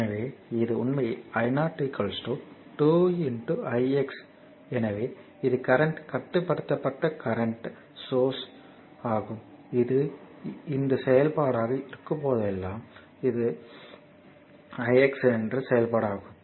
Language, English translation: Tamil, So, this actually that i 0 is equal to 2 into i x so; that means, it is current controlled current source whenever this is function of this one it is function of current i x